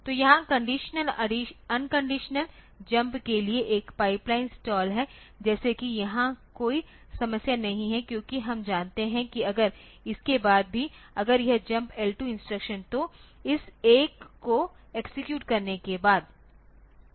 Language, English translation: Hindi, So, there is a pipeline stall for condition unconditional jump like here there is no problem because we know that if it is after this if a gets this jump L2 instruction so, after this one has been executed so, jump L2